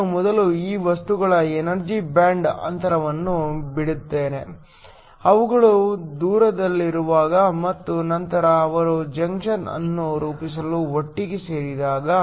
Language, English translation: Kannada, Let me first draw the energy band gap of these materials, when they are far apart and then when they come together in order to form the junction